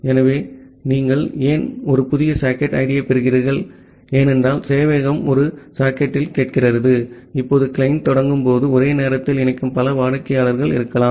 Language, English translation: Tamil, So, why you are getting a new socket id, because the server is listening on one socket; now when the client is initiating there can be multiple clients which are connecting simultaneously